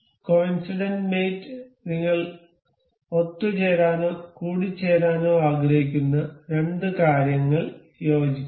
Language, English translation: Malayalam, In coincident mate the two things that we we want to assemble or mate will coincide